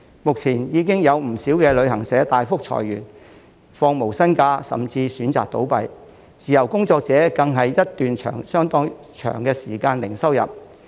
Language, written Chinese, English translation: Cantonese, 目前，已有不少旅行社大幅裁員、放無薪假，甚至選擇倒閉，自由工作者更是一段相當長的時間零收入。, Currently many travel agencies have laid off a lot of their staff requested them to take unpaid leave or even chosen to close down and freelancers have been incomeless for a long time